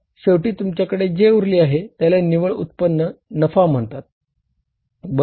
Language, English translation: Marathi, So, finally, you are left with some amount which is called as net income, net income oblique profit